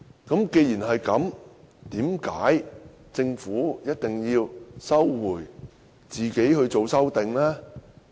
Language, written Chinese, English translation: Cantonese, 既然如此，政府為何堅持自行提出修正案？, As such why does the Government insist on proposing its own amendments?